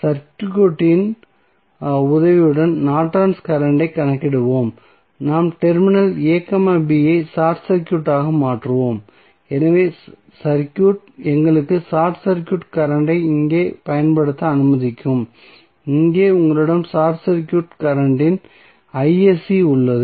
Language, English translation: Tamil, Let us do the calculation of Norton's current with the help of the circuit we will just simply short circuit the terminal a, b so the circuit would be let us apply here the short circuit current so here you have short circuit current i sc